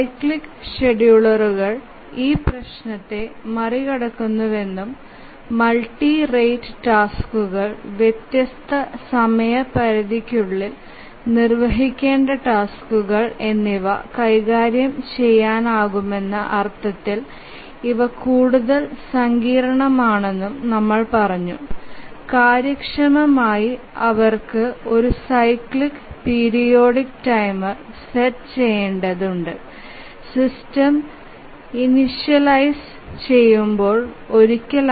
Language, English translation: Malayalam, And then we had said that the cyclic schedulers overcome this problem and also these are much more sophisticated in the sense that they can handle multi rate tasks, tasks requiring execution in different time periods and that too efficiently they require a cyclic periodic timer only once during the system initialization